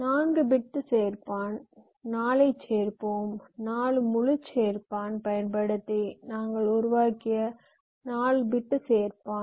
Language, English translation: Tamil, lets call it add four, the four bit adder we had created by using four full adders